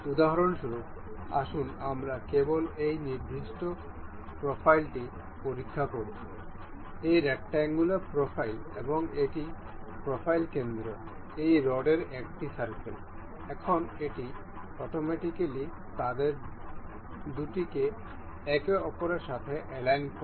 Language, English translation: Bengali, For instance, let us just check this particular profile; this rectangular profile and the say this is a circle of this rod in the profile center, now it automatically aligns the two of them to each other